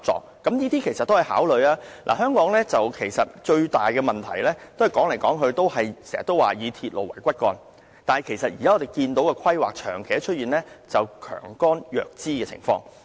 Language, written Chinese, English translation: Cantonese, 香港最大的問題，就是我們的公共交通政策說來說去都是以鐵路為骨幹，但現時的規劃長期出現強幹弱枝的情況。, The greatest problem of Hong Kong is that our public transport policy no matter how you phrase it focuses on railway as the backbone but there has long been a problem of strong core and weak branches in the planning